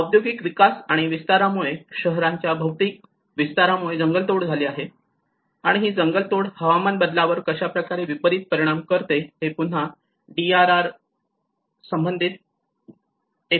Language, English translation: Marathi, Deforestation because of the industrial and expansions, physical expansion of cities, and how the deforestation is in turn affecting the climate change and which is again relating to the DRR